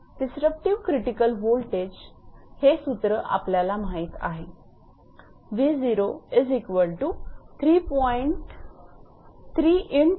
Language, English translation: Marathi, We know disruptive critical voltage rms this formula we have also derived